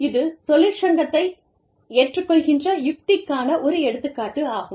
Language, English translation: Tamil, But, this is an example, of a union acceptance strategy